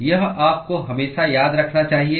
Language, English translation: Hindi, You should always remember this